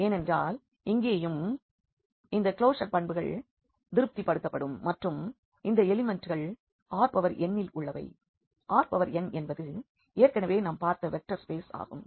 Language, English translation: Tamil, So, this is called null space and has discussed before because here also those closure properties are satisfied and the elements are from R n; R n is a vector space already we have seen